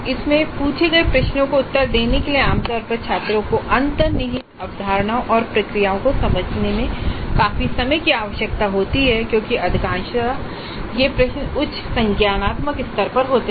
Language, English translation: Hindi, Basically take home kind of assignments and the responding to the assignment questions usually requires considerable time from the students in understanding the underline concepts and procedures because most of the time the questions posed in the assignments are at higher cognitive levels